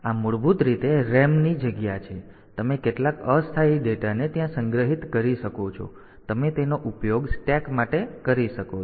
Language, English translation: Gujarati, So, you can use some you can store some temporary data there you can use them for stack